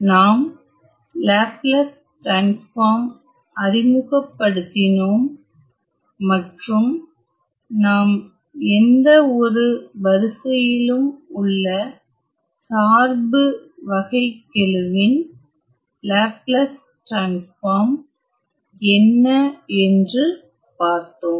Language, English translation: Tamil, We had introduced Laplace transform and we also saw; what is the Laplace transforms of a derivative of a function to any order